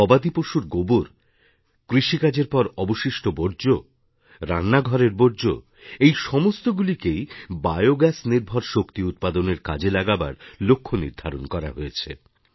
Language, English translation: Bengali, A target has been set to use cattle dung, agricultural waste, kitchen waste to produce Bio gas based energy